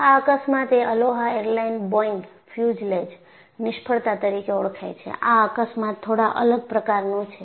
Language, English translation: Gujarati, This is Aloha airlines Boeing fuselage failure, and this accident is slightly different